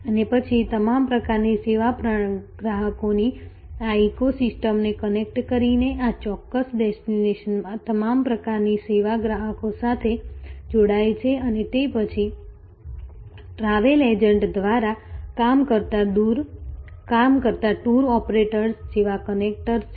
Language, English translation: Gujarati, And then, connecting this eco system of all kinds of service customers, connecting to all kinds of service customers in this particular destination and then, there are connectors like tour operators operating through travel agents